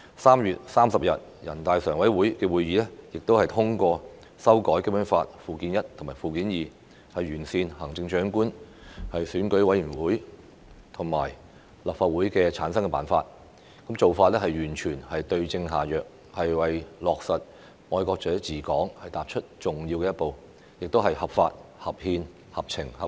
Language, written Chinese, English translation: Cantonese, 3月30日人大常委會會議亦通過修改《基本法》附件一和附件二，完善行政長官、選舉委員會和立法會的產生辦法，做法完全是對症下藥，為落實"愛國者治港"踏出重要的一步，亦合法合憲，合情合理。, At the meeting on 30 March the Standing Committee of NPC adopted the amended Annexes I and II to the Basic Law to improve the methods for the selection of the Chief Executive and formation of the Election Committee EC and the Legislative Council giving precisely the right prescription for the malady . It was an important step towards the implementation of patriots administering Hong Kong . It is legal constitutional reasonable and sensible